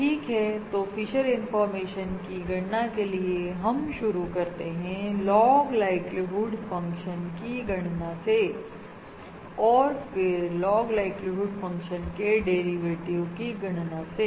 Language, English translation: Hindi, Alright, so to do that, to compute the Fisher information, we start by computing 1st the log likelihood function from the likelihood function and then the derivative of the log like you would function